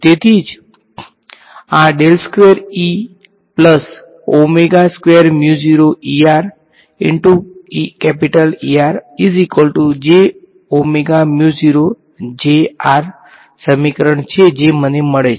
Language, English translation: Gujarati, So, that is why, so this is the equation that I get